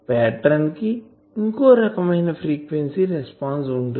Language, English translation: Telugu, , the pattern may have another frequency response